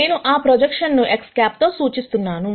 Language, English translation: Telugu, I am going to represent that projection as X hat